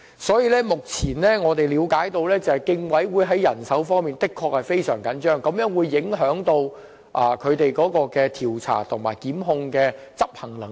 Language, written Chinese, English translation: Cantonese, 所以，我們明白競委會目前在人手方面的確非常緊絀，這會影響其調查及檢控方面的執行能力。, We are therefore aware that the Competition Commission is at present under very tight manpower constraints indeed thereby undermining its capacity to conduct inquiries and institute prosecutions